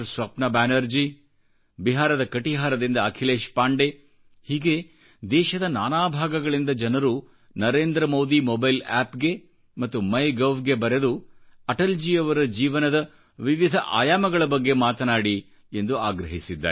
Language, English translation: Kannada, Swapan Banerjee from West Bengal, Akhilesh Pandey from Katihar, Bihar and numerous others have written on Narendra Modi Mobile App and MyGov asking me to speak on various aspects of Atalji's life